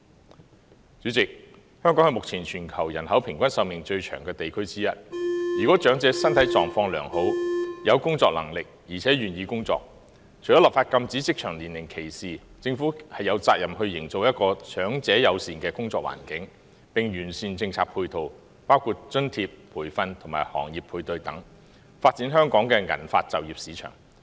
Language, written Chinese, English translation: Cantonese, 代理主席，香港是目前全球其中一個人口平均壽命最長的地區，如果長者身體狀況良好、有工作能力，而且願意工作，除了立法禁止職場年齡歧視外，政府亦有責任營造一個長者友善的工作環境，並完善政策配套，包括津貼、培訓及行業配對等，以發展香港的銀髮就業市場。, Deputy President at present Hong Kong is one of the regions with the longest life expectancy in the world . If elderly people are in good physical conditions have the ability and are willing to work apart from enacting legislation to prohibit age discrimination in the workplace the Government also has the responsibility to foster an elderly - friendly working environment and refine its complementary policies including such areas as allowance training industry matching etc so as to develop the silver - hair employment market in Hong Kong